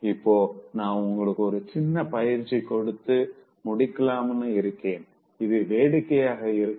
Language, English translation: Tamil, Now in this context, I would like to conclude by giving you one small exercise, it is just fun